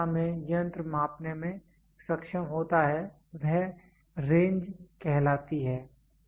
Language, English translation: Hindi, The capacity in which the instrument is capable of measuring is called the range